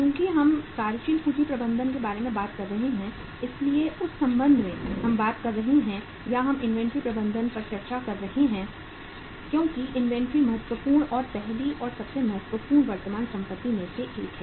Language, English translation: Hindi, See uh since we are talking about uh working capital management so in that connection we are talking about or we are discussing the inventory management because inventory being one of the important and the first and foremost uh current asset